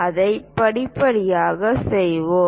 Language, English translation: Tamil, Let us do that step by step